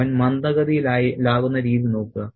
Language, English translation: Malayalam, Look at the way he becomes slow and hesitant